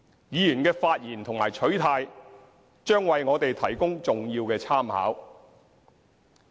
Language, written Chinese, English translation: Cantonese, 議員的發言和取態，將為我們提供重要的參考。, The speeches and stances of Members will provide us with importance reference